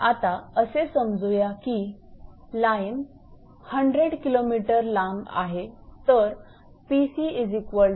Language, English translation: Marathi, If you suppose line is 100 kilometre long then it will be 5